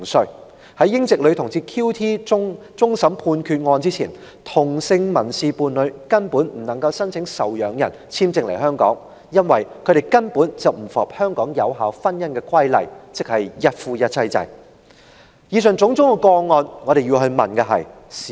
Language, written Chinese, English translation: Cantonese, 事實上，在英籍女同志 QT 案終審判決前，同性民事伴侶根本不能申請受養人簽證來港，因為他們不符合香港有效婚姻的規例，即一夫一妻制的要求。, In fact before the Court of Final Appeal handed down its ruling of the QT case same - sex civil partners could not apply for dependent visas to gain entry to Hong Kong since they did not meet the requirements of monogamous marriage stipulated in the legislation governing valid marriages in Hong Kong